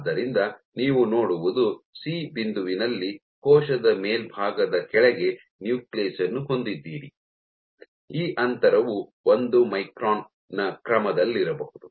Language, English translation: Kannada, So, what you see is at point C you have the nucleus right underneath the top of the cell to the extent that this gap can be on the order of 1 micron